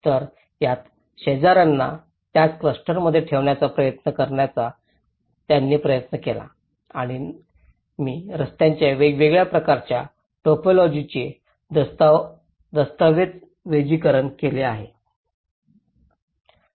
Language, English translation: Marathi, So, they tried to even make some efforts of put the same neighbours in the same cluster and I have documented the various typologies of streets